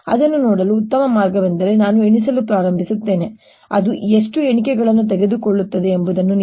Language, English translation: Kannada, best way to see that is: i'll start counting and you will see how many counts it takes